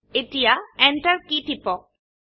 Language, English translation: Assamese, Now press the Enter key